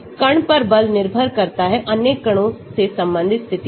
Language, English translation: Hindi, Force on the particle depends on its position relate to the other particles